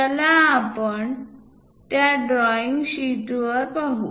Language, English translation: Marathi, Let us look at on the graph sheet